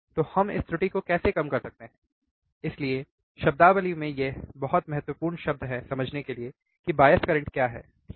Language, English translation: Hindi, So, how we can reduce this error; so, it is very important term in terminology to understand what is the bias current, alright